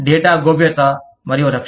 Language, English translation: Telugu, Data privacy and protection